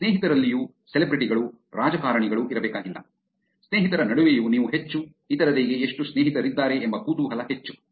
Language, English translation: Kannada, Even among friends, it does not have to be the celebrities, politicians, even among friends you are more, more curious about how many friends other have